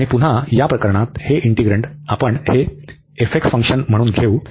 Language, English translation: Marathi, And in this case again, we take this integrand as this f x function